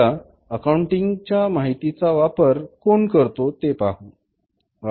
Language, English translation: Marathi, Now, users of accounting information who uses that information